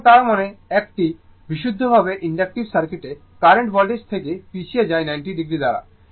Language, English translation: Bengali, So, that means, in a pure that what I told purely inductive circuit, current lags behind the voltage by 90 degree